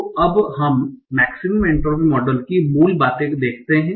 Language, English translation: Hindi, So for now, let us look at the basics of maximum entropy model